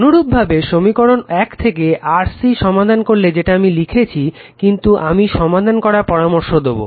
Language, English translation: Bengali, Similarly, from equation one solve for c this is I have written, but I suggest you to solve